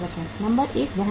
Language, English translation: Hindi, Number one is the carrying cost